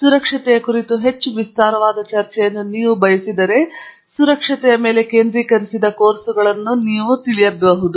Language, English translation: Kannada, If you want a much more elaborate discussion on safety, you really have to attend courses which are focused on safety